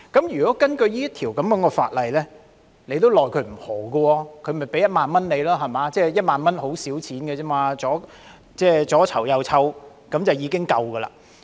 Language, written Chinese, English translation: Cantonese, 如果根據這項法例，當局也沒奈何，團體也只須支付1萬元 ，1 萬元只是很少錢，左右籌措便已可夠數。, Under the Bill the authorities could do nothing about it and the organization only had to pay 10,000 which was miniscule and could be easily raised